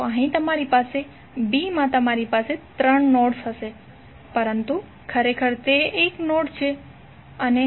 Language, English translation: Gujarati, So here you will have, in b you will have three nodes but actually it is considered as one node